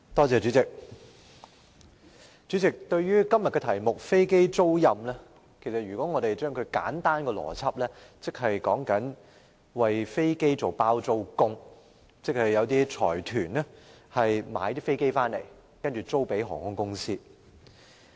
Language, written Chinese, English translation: Cantonese, 主席，對於今天的辯論題目"飛機租賃"，若以簡單邏輯理解，就是為飛機作"包租公"：由財團購買飛機，然後出租予航空公司。, President using simple common sense to explain todays debate topic of aircraft leasing I would say it simply means the renting out of aircraft . A consortium purchases some aircraft and rent them out to airlines